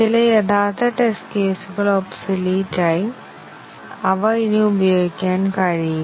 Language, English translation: Malayalam, Some of the original test cases become obsolete; they cannot be used anymore